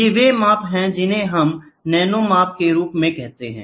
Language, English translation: Hindi, These are the measurements we are talking as nano measurements